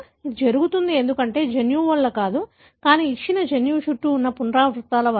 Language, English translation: Telugu, It happens because, not because of the gene, but because of the repeats that are flanking a given gene